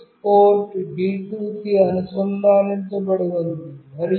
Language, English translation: Telugu, The TX is connected to port D2